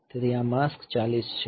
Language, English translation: Gujarati, So, this mask is 4 0